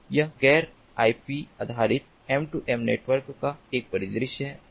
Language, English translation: Hindi, so this is a scenario of non ip based m two m network